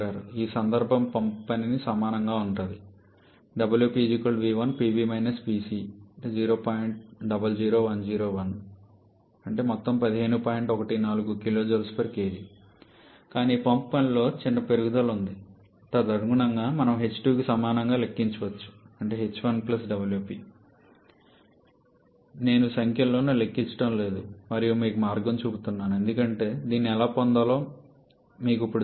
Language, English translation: Telugu, So, there is a small increase in the pump work accordingly we can calculate h 2 to be equal to h 1 plus pump work I am not calculating the numbers and just give you showing you the way because you buy now you know how to get this